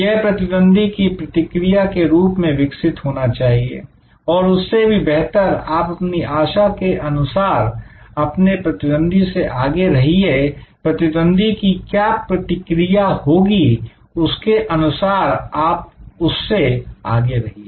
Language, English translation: Hindi, It will move evolve in response to competitors and more a better is that you move ahead of the competitor your anticipate, what the competitors response will be and you be ahead of them